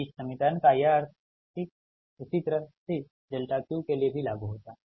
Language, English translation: Hindi, this is the meaning of this equation, right same is applicable for delta q, same way